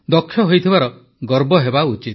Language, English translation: Odia, We should be proud to be skilled